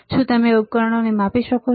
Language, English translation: Gujarati, Can you measure the devices